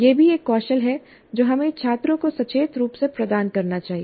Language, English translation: Hindi, This is also a skill that we must consciously impart to the students